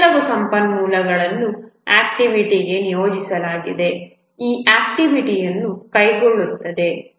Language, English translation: Kannada, Some resources must be assigned to an activity who will carry out this activity